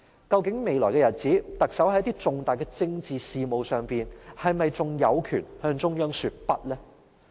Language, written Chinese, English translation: Cantonese, 究竟在未來的日子裏，特首在重大的政治事務上，是否仍有權向中央說不？, In the future will the Chief Executive still have the right to say no to the central authorities on some significant political issues?